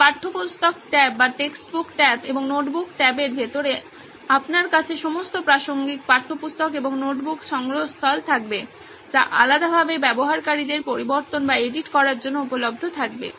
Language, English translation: Bengali, So inside the textbook tab and the notebook tab you would have all the relevant textbook and the notebook repository available separately for the users to go and edit